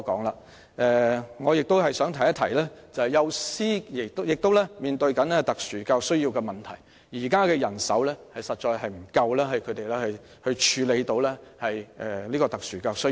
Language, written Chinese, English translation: Cantonese, 然而，我想指出其實幼師亦正面對特殊教育需要的問題，他們目前的人手確實不足以處理特殊教育需要。, However I wish to point out that kindergarten teachers also face problems relating to special education needs and the existing manpower is indeed inadequate for addressing the special education needs